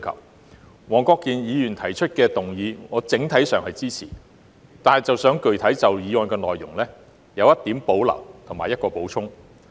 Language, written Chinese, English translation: Cantonese, 我整體上支持黃國健議員提出的議案，但想具體就議案的內容提出一點保留及作出一個補充。, On the whole I support Mr WONG Kwok - kins motion but would like to highlight my specific reservation about the motion and raise an additional point